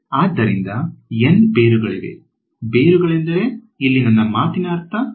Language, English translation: Kannada, So, there are N roots, by roots what do I mean